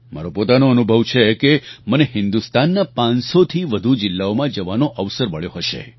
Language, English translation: Gujarati, This is my personal experience, I had a chance of visiting more than five hundred districts of India